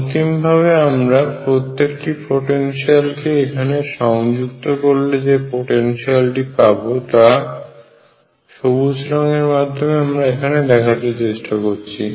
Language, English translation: Bengali, Finally, when I add all these potentials what I get is the potential like I am showing in green out here like this